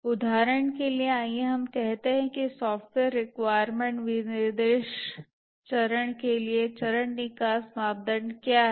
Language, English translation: Hindi, For example, let's say what is the phase exit criteria for the software requirement specification phase